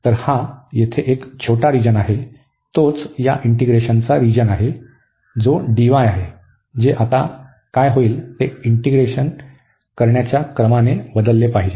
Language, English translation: Marathi, So, this region is the order is the region of the integration this d, which we have to now see when we change the order of integration what will happen